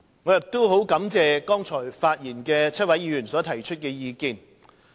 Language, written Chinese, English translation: Cantonese, 我亦感謝剛才發言的7位議員所提出的意見。, I also thank the seven Honourable Members who spoke earlier for their views